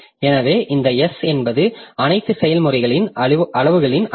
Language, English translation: Tamil, So, this, this S is the size of sum of sizes of all processes